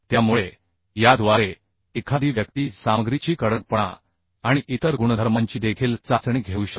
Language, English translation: Marathi, So through this one can test the hardness of the material